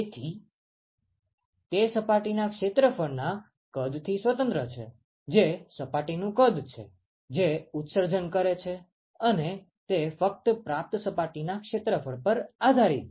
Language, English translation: Gujarati, So, it is independent of the size of the surface area, which is size of the surface, which is emitting and it depends only on the surface area of the receiving surface